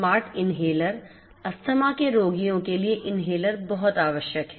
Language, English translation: Hindi, Smart Inhaler inhalers are a very essential requirement of asthma patients